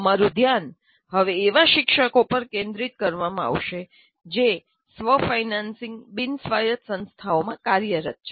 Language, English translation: Gujarati, As they constitute, our focus now will be on teachers who are working in the self financing non autonomous institutions